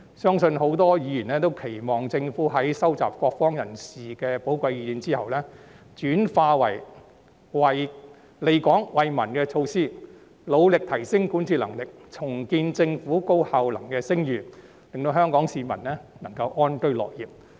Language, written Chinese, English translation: Cantonese, 相信很多議員都期望政府在收集各方人士的寶貴意見後，將之轉化為利港惠民的措施，並努力提升管治能力，重建政府高效能的聲譽，令香港市民能夠安居樂業。, I believe it is the hope of many Members that the Government will translate the valuable views collected from people from all walks of life into measures beneficial to Hong Kong and the people as well as endeavour to strengthen governance and rebuild its reputation as a highly efficient Government so that Hong Kong people can live and work in contentment